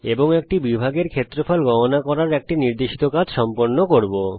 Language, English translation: Bengali, and complete an assignment to calculate the area of a sector